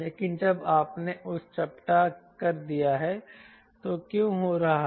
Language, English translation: Hindi, but when you are flattened it, then what is happening